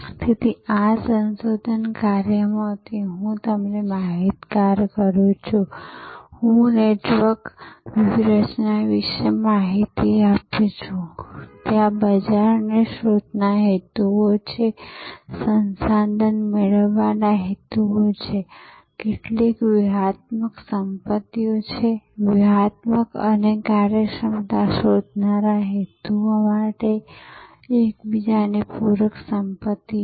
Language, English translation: Gujarati, So, I am alerting to you from this research work that there are information of this network strategy, there are market seeking motives, resource seeking motives, some strategic asset, complementary asset of each other seeking motives and efficiency seeking motives